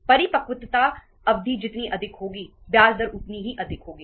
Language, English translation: Hindi, Longer the maturity period, higher is the interest rate